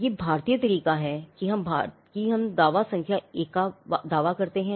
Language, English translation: Hindi, This is the Indian way of doing it we claim and the claim number 1